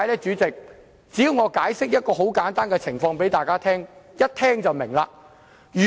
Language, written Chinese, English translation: Cantonese, 主席，只要我向大家解釋一個簡單情況，大家便會明白。, President let me explain a simple situation and Members will see what I mean